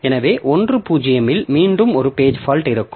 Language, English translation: Tamil, So, at 1 0 there will again be a page fault